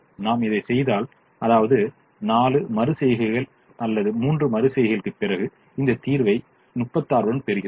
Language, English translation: Tamil, and if i do that i come to this and after four iterations or three iterations, i actually get this solution with thirty six